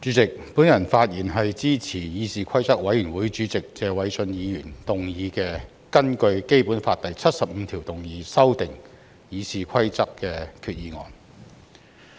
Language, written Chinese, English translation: Cantonese, 主席，我發言支持議事規則委員會主席謝偉俊議員動議的根據《基本法》第七十五條動議修訂《議事規則》的擬議決議案。, President I speak in support of the proposed resolution under Article 75 of the Basic Law to amend the Rules of Procedure RoP moved by Mr Paul TSE Chairman of the Committee on Rules of Procedure